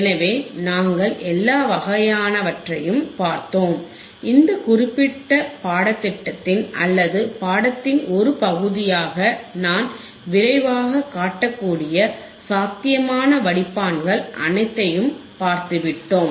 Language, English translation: Tamil, So, we have seen all the kind of filters possible filters that I can show it to you quickly in the part of as a part of this particular curriculum or part of this particularor course